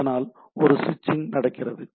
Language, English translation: Tamil, So that there is a switching